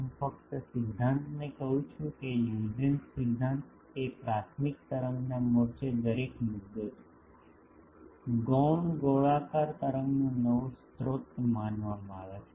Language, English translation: Gujarati, The I just state the principle Huygens principle is each point on a primary wave front, can be considered to be a new source of a secondary spherical wave